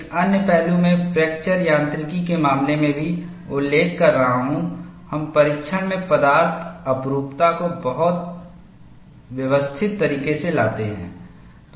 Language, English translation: Hindi, Another aspect, I have also been mentioning in the case of fracture mechanics, we bring in the material anisotropy in the testing in a very systematic fashion